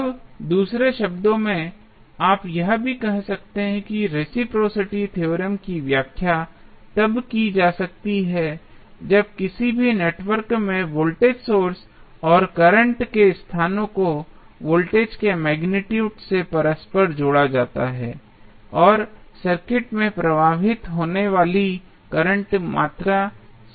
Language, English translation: Hindi, Now, in other words, you can also say that reciprocity theorem can be interpreted as when the places of voltage source and current in any network are interchanged the amount of magnitude of voltage and current flowing in the circuit remains same